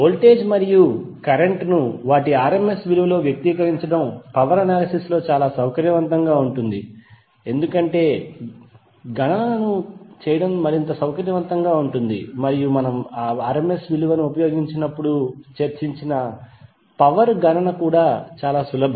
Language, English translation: Telugu, It is convenient in power analysis to express voltage and current in their rms value because it is more convenient to do the calculations and the power calculations which is discussed is also easy when we use the rms value